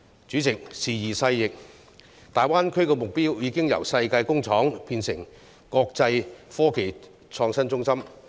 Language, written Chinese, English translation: Cantonese, 主席，時移世易，大灣區的目標已經由世界工廠變成國際科技創新中心。, President times have changed and the goal of the Greater Bay Area has changed from the worlds factory to an international innovation and technology hub